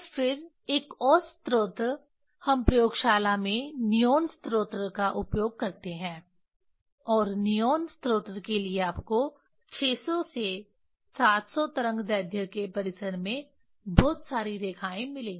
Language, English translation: Hindi, And then another source we use in the laboratory the neon source and for neon source you will get lot of lines in the range of 600 to 700 wave length